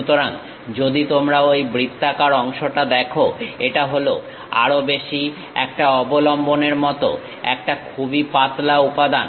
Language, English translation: Bengali, So, if you are seeing that circular one; this is more like a supported one, a very thin element